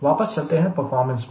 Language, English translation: Hindi, let us again go back to performance